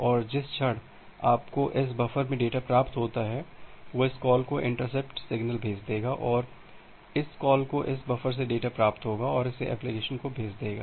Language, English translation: Hindi, And the moment you receive the data in this buffer, it will send the interrupt signal to this call and this call will get the data from this buffer and send it to the application